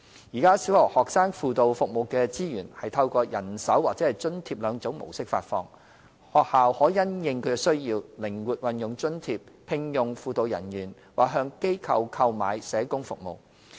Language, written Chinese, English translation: Cantonese, 現時小學學生輔導服務的資源，是透過人手或津貼兩種模式發放，學校可因應需要，靈活運用津貼，聘用輔導人員或向機構購買社工服務。, Currently there are two types of funding modes for student guidance service through provision of manpower or grants respectively . Schools may based on their own needs use their funding flexibly to employ guidance personnel or procure social work service from NGOs